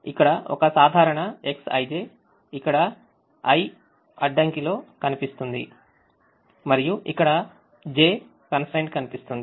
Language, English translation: Telugu, a typical x i j will appear in the i'th constraint here and the j'th constraint there